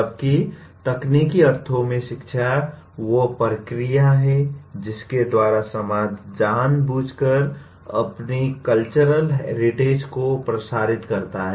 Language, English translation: Hindi, Whereas education in its technical sense, is the process by which society deliberately transmits its “cultural heritage”